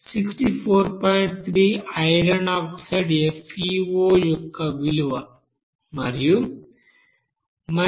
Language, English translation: Telugu, 3 of this product iron oxide that is FeO plus 26